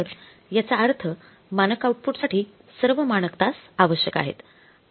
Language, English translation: Marathi, So, it means all the standard hours are required for the standard output